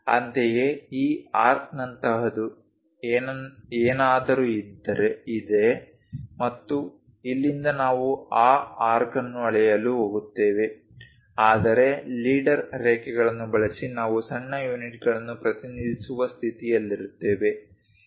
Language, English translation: Kannada, Similarly, something like this arc is there and from here we are going to measure that arc, but using leader lines we will be in a position to represent the small units